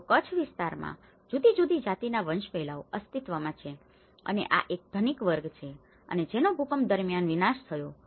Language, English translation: Gujarati, So, different caste hierarchies existed in the Kutch area and this is one of the rich class and which has been destructed during the earthquake